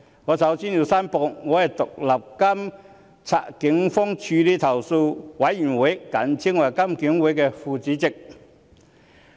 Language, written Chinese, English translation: Cantonese, 我首先申報，我是獨立監察警方處理投訴委員會的副主席。, I first declare that I am a Vice - Chairman of the Independent Police Complaints Council